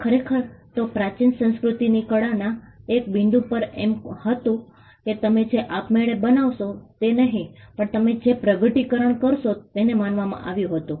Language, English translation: Gujarati, In fact, at 1 point in the ancient culture’s art was at regarded as a discovery that you make and not something which you create on your own